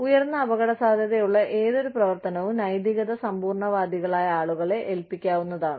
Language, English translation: Malayalam, Any high risk activity can be entrusted to people, who are ethical absolutists